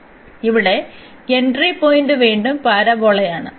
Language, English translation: Malayalam, So, here the entry point is again the parabola